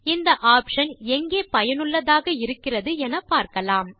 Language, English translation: Tamil, Let us see where this options are useful